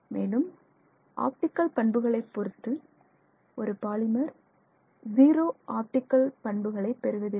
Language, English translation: Tamil, Plus there is also, you know even in terms of optical properties, the polymer does not have zero optical properties